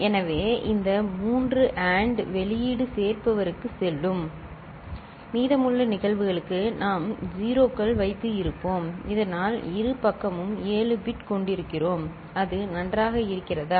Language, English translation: Tamil, So, this 3 AND output will be going to the adder and the for the rest of the cases we will be having 0’s, so that both side we are having 7 bit is it fine